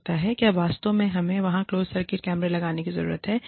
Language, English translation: Hindi, Do we really need to have, closed circuit cameras there